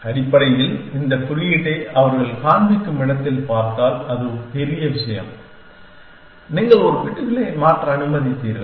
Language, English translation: Tamil, Essentially, if you look at this notation where they convey it is the big thing, you allowed changing one bits